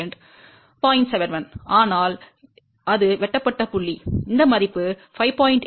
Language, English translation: Tamil, 71 but the point at which it is cut, you can see this value corresponds to 5